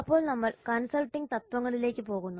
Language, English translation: Malayalam, Then we go to the principles of consulting